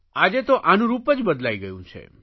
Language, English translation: Gujarati, But today, its form and format has changed